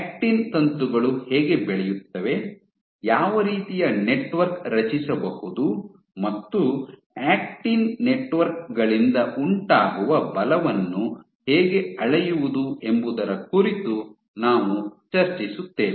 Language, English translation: Kannada, So, in next class we will continue from here when discuss how actin filaments grow, what kind of network you can form, and how can you measure the forces exerted by these actin networks